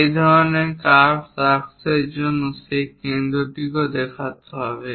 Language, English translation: Bengali, For this kind of curves arcs, it is necessary to show that center also